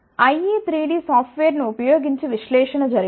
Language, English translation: Telugu, The analysis has been done using ie 3 D software